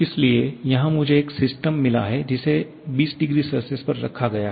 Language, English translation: Hindi, So, here I have got a system which is kept at 20 degree Celsius